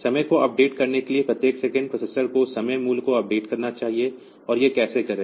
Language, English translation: Hindi, So, every second the processor should update the time value, and how will it do it